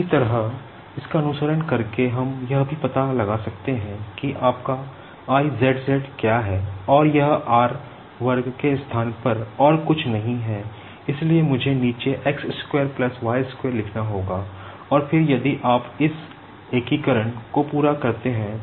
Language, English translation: Hindi, Similarly, by following this we can also find out what is your I zz and that is nothing but in place of r square, so I will have to write down EMBED Equation